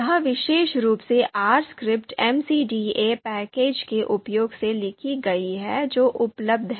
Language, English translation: Hindi, So this particular R script has been you know written using MCDA package that is available